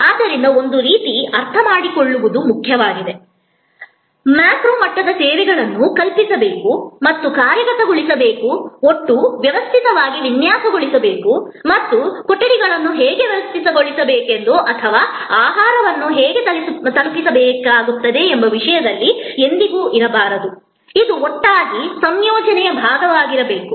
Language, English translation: Kannada, So, in a way what is important to understand here is, at a macro level services must be conceived and must be executed, must be designed as a total system and not ever in terms of just how the rooms will be arranged or how food will be delivered, it has to be all together part of composite whole